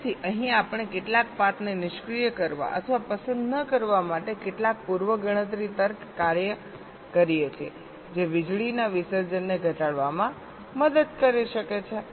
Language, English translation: Gujarati, some pre computation logic to disable or un select some of the paths which can help in reducing power dissipation